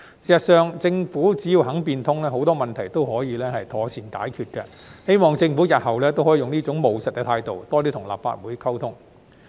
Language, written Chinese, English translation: Cantonese, 事實上，政府只要肯變通，很多問題都可以妥善解決，希望政府日後也可用這種務實的態度，多與立法會溝通。, Evidently as long as the Government is willing to be flexible many problems can be resolved properly . I hope that the Government will adopt this pragmatic attitude and communicate more with the Legislative Council in the future